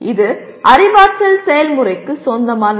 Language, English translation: Tamil, It belongs to the cognitive process Apply